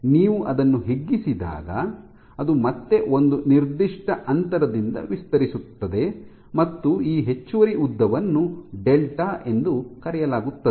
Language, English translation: Kannada, When you stretch it, it will again stretch by a certain distance let us say this extra length is delta